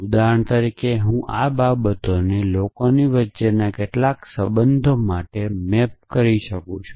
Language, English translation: Gujarati, For example, I could map these things to some relation between people